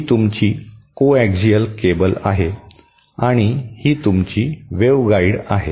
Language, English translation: Marathi, This is your coaxial cable and this is your waveguide